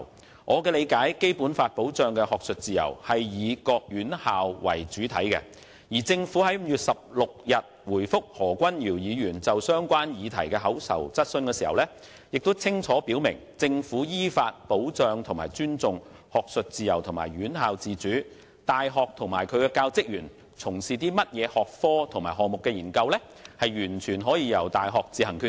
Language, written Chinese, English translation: Cantonese, 根據我的理解，《基本法》保障的學術自由以各院校為主體，而政府在5月16日回覆何君堯議員就相關議題提出的口頭質詢中清楚表明，"政府依法保障和尊重學術自由和院校自主，大學及其教職員從事甚麼學科及項目的研究，完全由大學自行決定"。, To my understanding the academic freedom protected by the Basic Law refers mainly to various educational institutions . In its reply dated 16 May to an oral question asked by Dr Junius HO in relation to a relevant issue the Government made it clear that we safeguard and respect academic freedom and institutional autonomy according to the law . The universities have the authority to decide on their research disciplines and projects and those of their academic staff